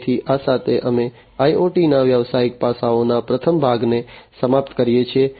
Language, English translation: Gujarati, So, with this we come to an end of the first part of the business aspects of IoT